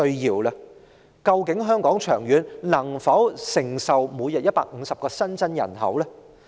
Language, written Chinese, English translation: Cantonese, 長遠來說，究竟香港能否承受每日150個新增人口呢？, In the long run does Hong Kong have the capacity to receive 150 new arrivals into the population every day?